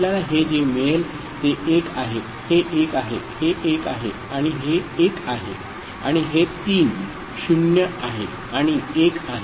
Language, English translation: Marathi, So, what we get this is 1; this is 1; this is 1 and this is 1 and this three 0’s and 1